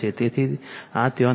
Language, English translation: Gujarati, So, this is not there right